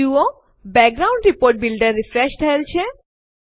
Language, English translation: Gujarati, Notice that the background Report Builder has refreshed